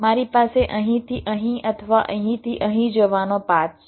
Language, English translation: Gujarati, i have a path to take from here to here or here to here, right